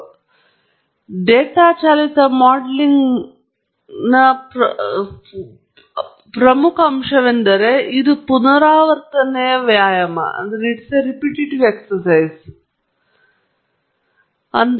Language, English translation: Kannada, And the last, but not the least important aspect of data driven modelling is that it is an iterative exercise